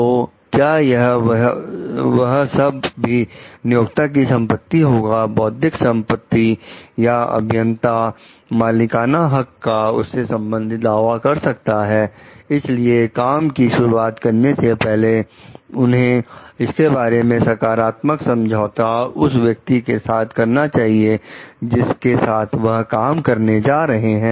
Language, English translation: Hindi, So, should that also be the employers property, intellectual property or the engineer can claim an ownership for that regarding that, before entering into the work they should come into a positive agreement with a person whom they would be working with